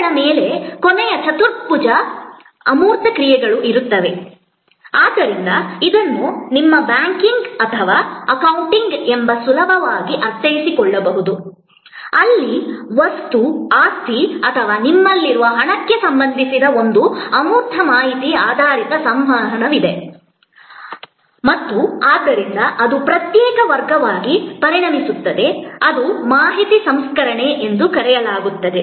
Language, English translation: Kannada, A last quadrant is the one where intangible actions on positions, so this can be easily understood as your banking or accounting, where there is an intangible information oriented interaction related to material possessions or money that you have and therefore, that becomes a separate category, which we call information processing